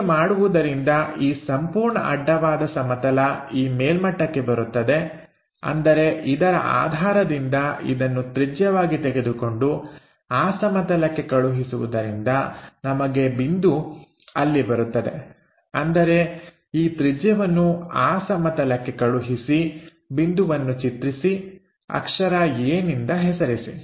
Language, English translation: Kannada, So, that this entire horizontal plane comes at this top level; that means, our point with this one as origin, this one as the radius, transfer this radius onto that plane name it lower case letter a